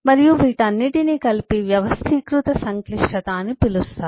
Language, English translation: Telugu, and all these together is called the organized complexity